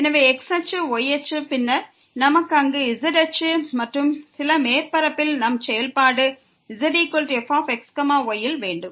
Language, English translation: Tamil, So, axis, axis and then, we have axis there and we have some surface where the function z is equal to